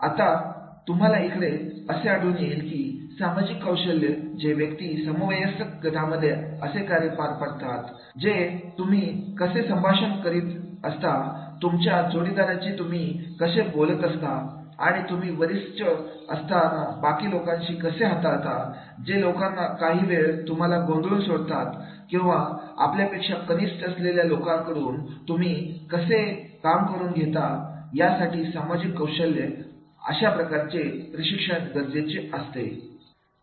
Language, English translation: Marathi, Now here you will find that is the social skills are there where the person how to work in a peer group, how to interact with your boss, how to interact with your colleagues, and how to handle you are the superiors, those who are maybe sometimes disruptive or how to get work done from the subordinates and therefore the social skills that that type of the training is required